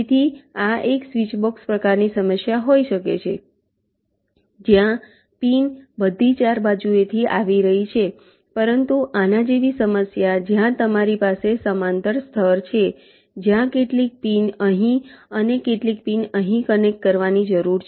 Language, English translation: Gujarati, so this can be a switch box kind of problem where pins are coming from all four sides, but problem like this where you have a parallel layers where some pins here and some pins here need to connected